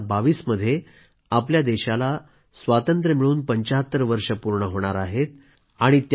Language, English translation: Marathi, In 2022, we will be celebrating 75 years of Independence